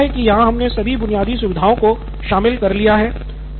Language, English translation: Hindi, I think all the basic features are covered here